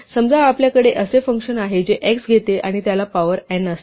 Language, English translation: Marathi, Suppose, we have function like this which takes x and raises it to the power n